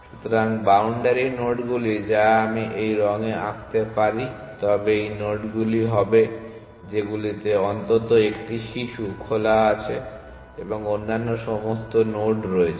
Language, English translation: Bengali, So, the boundary nodes which are if I can draw in this colour would be these nodes which are which have at least one child in open and all other nodes